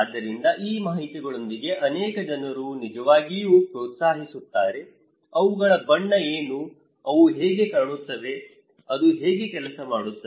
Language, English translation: Kannada, So, many people actually encouraging so, with these informations; what are their colour, how they look like, how it works